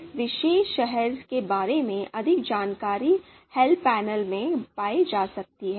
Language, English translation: Hindi, More information on this particular function, you can always refer the help panel